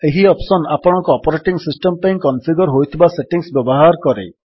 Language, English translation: Odia, This option uses the settings configured for your operating system